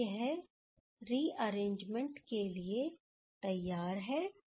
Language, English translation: Hindi, Now, this is ready for the rearrangement